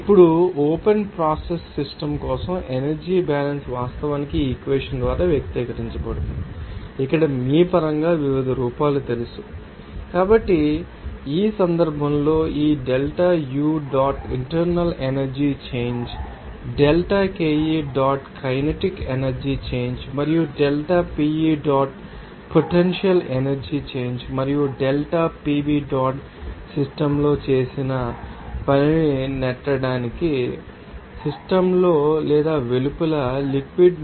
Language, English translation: Telugu, Now, the energy balance for an open process system can also be actually expressed by this equation here in terms of you know different forms there so, So in this case, we can say that this delta U dot is the internal energy change, delta KE dot is, kinetic energy change and delta PE dot is potential energy change and delta PV dot the work performed on the system in order to push the fluid in or out of the system